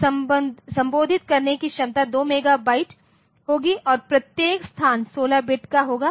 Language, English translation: Hindi, So, addressing capacity will be 2 megabyte and in case of to 2 mega in fact, this is a each location is 16 bits